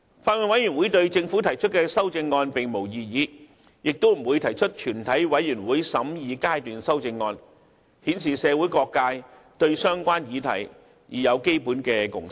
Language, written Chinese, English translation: Cantonese, 法案委員會對政府提出的修正案並無異議，亦不會提出全體委員會審議階段修正案，這顯示社會各界對相關議題已有基本共識。, The Bills Committee raises no objection to the CSAs proposed by the Government and neither will it propose any CSA to the Bill . This shows that all quarters of society have generally reached a basic consensus on the issues concerned